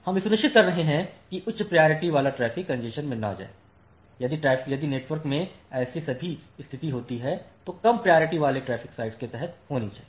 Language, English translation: Hindi, So, we are ensuring that the high priority traffic does not go into the congestion, if at all condition occurs in the net network that should occur under low priority traffic site